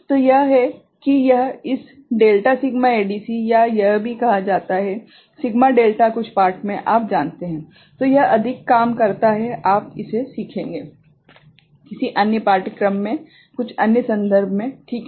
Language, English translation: Hindi, So, this is how this delta sigma ADC or also it is called sigma delta in some you know text so, it works more of it you will learn, in some other course, in some other context ok